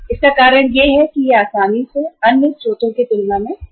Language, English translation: Hindi, Reason for that is that it is easily available as compared to other sources